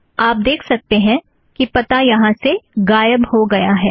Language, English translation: Hindi, You can see that the from address has disappeared from here